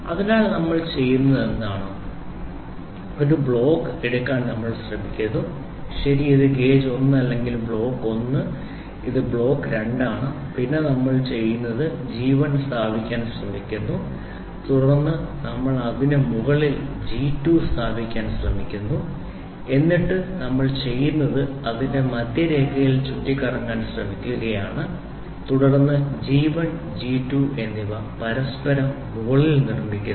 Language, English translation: Malayalam, So, wrung means what we do is, we try to take a block we try to take another block, right this is gauge 1 or a block 1 this is block 2 then what we do is, we try to place G 1 and then we try to place G 2 on top of it and then what we do is we try to swivel at about its center line and then G 1 and G 2 are made one above each other